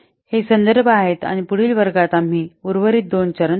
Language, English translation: Marathi, These are the references and in the next class we will see the remaining two steps